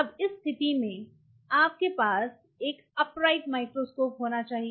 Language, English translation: Hindi, Now in that case you will have to have a microscope which is upright